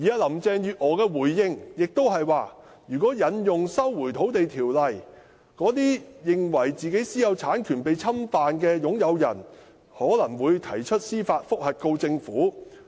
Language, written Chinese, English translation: Cantonese, 林鄭月娥的回應是，如果引用《收回土地條例》，那些認為自己私有產權被侵犯的擁有人可能會提出司法覆核，控告政府。, Carrie LAM replied that if LRO was invoked owners who believed their private ownership was being infringed upon would apply for judicial review against the Government